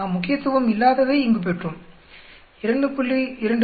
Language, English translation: Tamil, We got not significant here 2